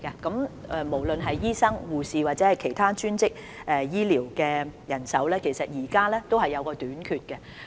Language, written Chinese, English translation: Cantonese, 不論是醫生、護士或其他專職醫療人員，人手現時皆出現短缺。, Whether speaking of doctors nurses or other allied health professionals there is a shortage of manpower at present